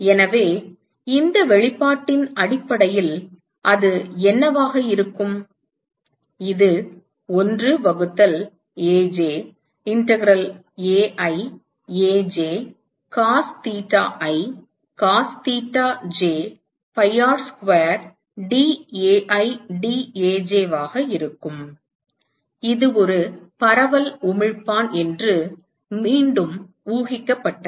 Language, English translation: Tamil, So, what will that be based on this expression, it will be 1 by Aj integral Ai Aj cos theta i cos theta j pi R square dAi dAj, once again this assumed that it is a diffuse emitter